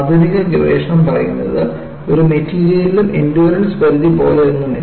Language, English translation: Malayalam, See, the modern research tells, there is nothing like endurance limit for any of the material